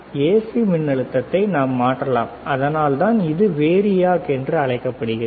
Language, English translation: Tamil, We can vary the AC voltage that is why it is called variac